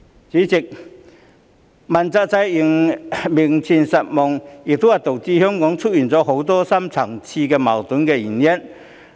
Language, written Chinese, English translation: Cantonese, 主席，問責制名存實亡，亦是導致香港出現很多深層次矛盾的原因。, President the fact that the accountability system exists in name only is also the cause of many deep - rooted conflicts in Hong Kong